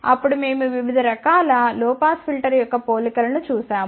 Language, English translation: Telugu, Then we looked at the comparison of different types of low pass filter